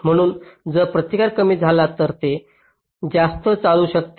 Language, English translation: Marathi, so if resistances becomes less, it can drive more current